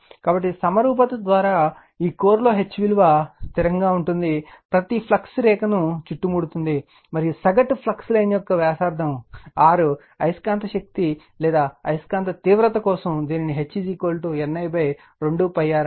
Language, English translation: Telugu, So, by symmetry, H in this core is constant, because it is a right round each flux line and for the mean flux your mean flux line of radius capital radius capital R, the magnetizing force or magnetic intensity right, it can be written as H is equal to N I upon 2 pi R